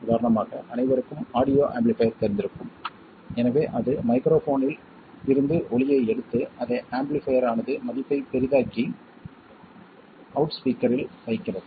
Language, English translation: Tamil, For instance everyone would be familiar with an audio amplifier so it takes the sound from the microphone, amplifies it, that is makes the value larger and place it on a loudspeaker